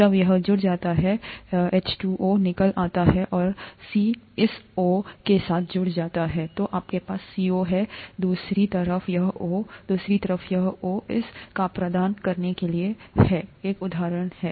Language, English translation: Hindi, When this gets attached, the H2O gets out and the C joins with this O, so you have a CO, on the other side this O, on the other side, and this bond going onto this O to provide an example of a lipid, okay